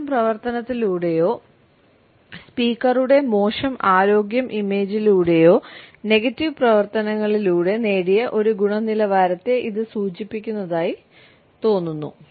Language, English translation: Malayalam, It seems to imply a quality acquired through negative activities conveying a poor image or a poor health image of the speaker